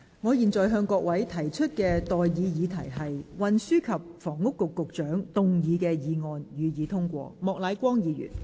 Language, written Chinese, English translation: Cantonese, 我現在向各位提出的待議議題是：運輸及房屋局局長動議的議案，予以通過。, I now propose the question to you and that is That the motion moved by the Secretary for Transport and Housing be passed